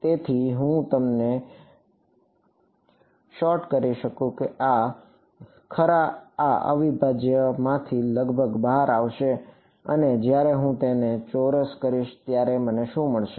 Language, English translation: Gujarati, So, if I sort of you can imagine that this root rho is going to come out of this integral approximately and when I square it what will I get